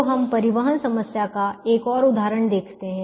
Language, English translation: Hindi, so we look at another example of a transportation problem